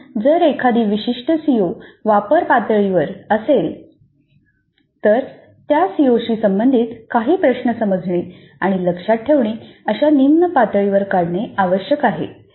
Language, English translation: Marathi, So if a particular CO is at apply level, I may have certain questions related to the CO at lower levels of understand and remember